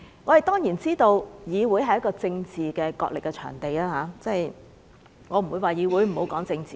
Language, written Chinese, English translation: Cantonese, 我們當然知道議會是政治角力的場地，我不會說不要在議會內談政治。, We are well aware that the Council is a venue for political struggles . Therefore I will not say that we should not talk about politics in the Council